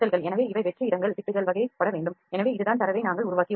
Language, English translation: Tamil, So, these are empty spaces patches are need to be put on, so this is the way we have produced the data